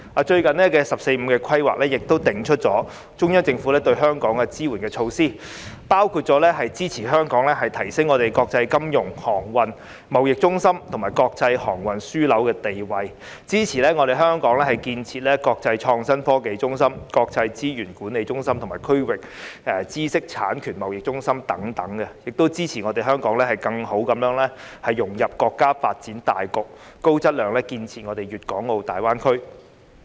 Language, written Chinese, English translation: Cantonese, 最近的"十四五"規劃，亦定出中央政府對香港支援的措施，包括支持香港提升國際金融、航運、貿易中心及國際航空樞紐的地位，支持香港建設國際創新科技中心、國際資產管理中心及區域知識產權貿易中心等，亦支持香港更好地融入國家發展大局，高質量建設粵港澳大灣區。, In the recent 14 Five - Year Plan some supporting measures from the Central Government to Hong Kong are announced . They include giving support to Hong Kong in enhancing its status as an international financial transportation and trade centre and international aviation hub giving support to Hong Kong in building the city as an international centre of innovative technology an international asset management centre and a regional intellectual property trading centre and also giving support to Hong Kong in integrating better into the overall development of the country and engaging in a high quality development of the Guangdong - Hong Kong - Macao Greater Bay Area